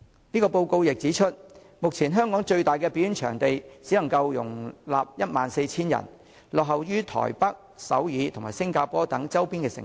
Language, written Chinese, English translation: Cantonese, 該報告亦指出，目前香港最大的表演場館只能容納 14,000 人，落後於台北、首爾及新加坡等周邊城市。, Yet as the report points out in Hong Kong the largest venue for performances can only accommodate 14 000 persons which compares unfavourably with those in other peripheral cities such as Taipei Seoul and Singapore